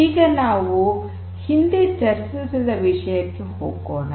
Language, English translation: Kannada, Now, let us go back to what we were discussing earlier